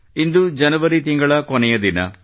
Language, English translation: Kannada, Today is the last day of January 2021